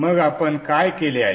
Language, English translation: Marathi, So what is it that we have done